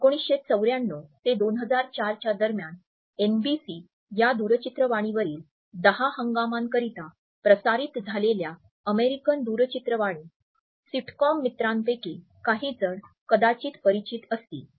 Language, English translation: Marathi, Some few of might be familiar with the famous American TV sitcom friends, which was aired between 1994 and 2004 for 10 seasons on NBC television